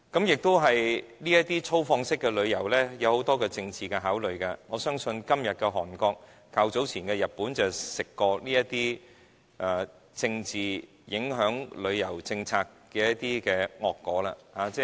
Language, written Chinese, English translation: Cantonese, 再者，這種粗放式旅遊受很多政治因素影響，我相信今天的韓國及較早前的日本便嘗到了政治影響旅遊政策的惡果。, Also this kind of extensive development in tourism can be affected by many political factors . I believe Korea today and Japan earlier have a taste of the bitter fruit of their tourism policies being affected by politics